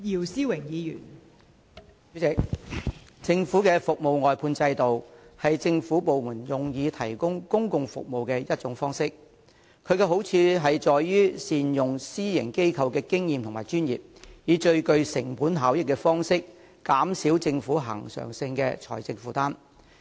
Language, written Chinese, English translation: Cantonese, 代理主席，政府的服務外判制度是政府部門提供公共服務的其中一種方式，其好處在於善用私營機構的經驗和專業，以最具成本效益的方式減少政府恆常的財政負擔。, Deputy President the Governments service outsourcing system is one of the methods of public service delivery adopted by government departments . It offers the advantages of making full use of the experience and expertise of private organizations to minimize the recurrent financial burden of the Government in the most cost - effective way